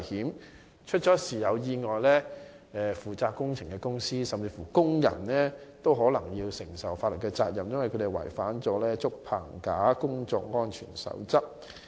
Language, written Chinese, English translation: Cantonese, 萬一發生意外，負責的工程公司甚至工人也可能要負上法律責任，因為他們違反了《竹棚架工作安全守則》的規定。, In case of an accident the works contractor or even the workers involved may have to bear legal liabilities because they have violated the requirements of the CoP for Bamboo Scaffolding Safety